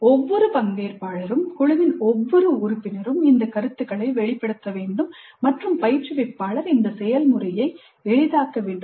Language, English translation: Tamil, Every participant, every member of the group must articulate these views and instructor must facilitate this process